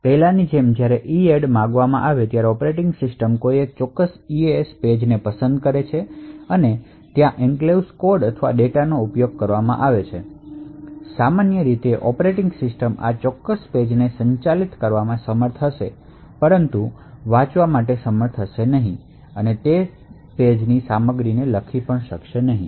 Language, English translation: Gujarati, So as before when EADD is invoked the operating system would is capable of selecting a particular ECS page where the enclave code or data is used, so typically the operating system would be able to manage this particular page but would not be able to actually read or write the contents of that page